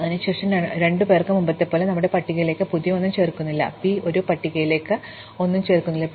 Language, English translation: Malayalam, Then, as before 2 does not add anything new to our list, 3 does not add anything new to our list